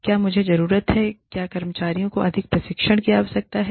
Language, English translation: Hindi, Do I need the, do the employees need, more training